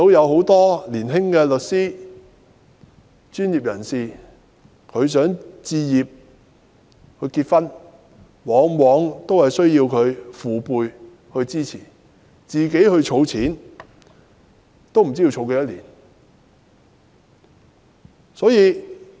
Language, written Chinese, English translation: Cantonese, 很多年輕的律師或其他專業人士想為結婚而置業，但往往仍需要他們的父輩支持，否則靠自行儲錢也不知要儲多少年。, Many young lawyers or other types of professionals who intend to acquire a property for the sake of getting married can only rely on the support from their fathers generation . Otherwise it is uncertain how many years it will take them to save money on their own